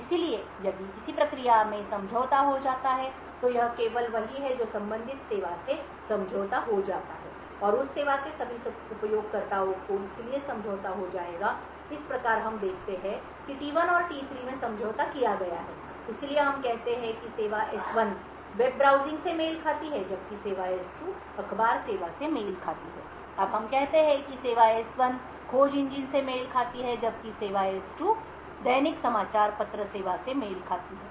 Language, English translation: Hindi, Therefore, if a process gets compromised then it is only that corresponding service that gets compromised and all users of that service would get hence compromised, thus we see that T1 and T3 is compromised, so let us say that service S1 corresponds to the web browsing while service S2 corresponds to the newspaper service, now let us say that service S1 corresponds to the search engine while service S2 corresponds to the daily newspaper service